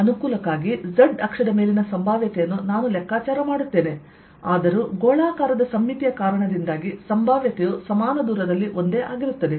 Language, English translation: Kannada, so for convenience i take calculate the potential alo[ng] on the z axis, although because of the spherical symmetry the potential is going to be same all around at the same distance